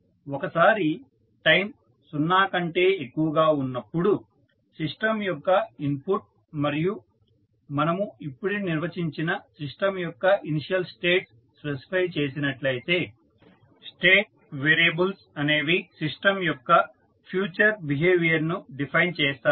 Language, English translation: Telugu, Once, the input of the system for time t greater than 0 and the initial states just defined are specified the state variables should completely define the future behavior of the system